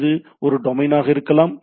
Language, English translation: Tamil, So, this is a domain